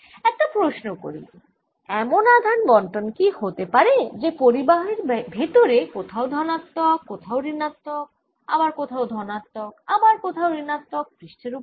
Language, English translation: Bengali, let me ask question: can there be charge distribution inside may be positive somewhere and negative somewhere, positive again negative on the other surface